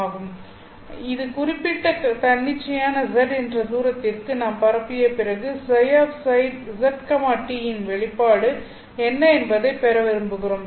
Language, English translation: Tamil, After we have propagated this at an arbitrary distance of z, we want to obtain what is the expression for si of z t